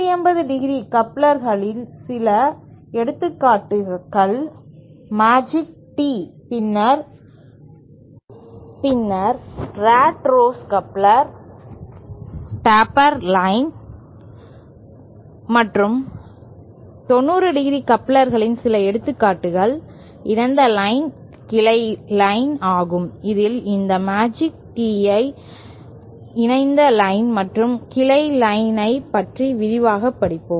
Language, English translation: Tamil, Some examples of 180¡ couplers are magic tee, then what we call rat race coupler, tapered line and then some examples of 90¡ couplers are coupled line, Blanch line, of this we will study in detail this magic Tee coupled line and branch line